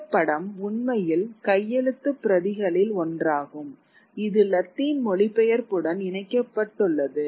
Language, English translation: Tamil, This image is actually one of a manuscript which is interleaved with Latin translation